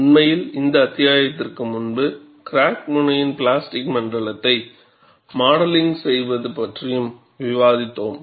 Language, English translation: Tamil, And, in fact, before this chapter, we had also discussed modeling of plastic zone at the crack tip